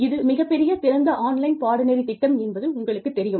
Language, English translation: Tamil, You know, through this massive, open online courseware